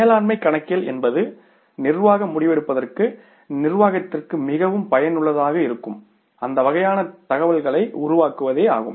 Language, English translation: Tamil, Management accounting means generating that kind of information which is very much useful to the management for the managerial decision making